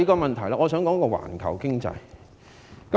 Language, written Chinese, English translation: Cantonese, 另外，我想談談環球經濟。, Moreover I want to discuss the global economy